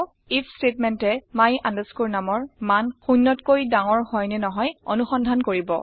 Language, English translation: Assamese, The if statement will check if the value of my num is greater than 0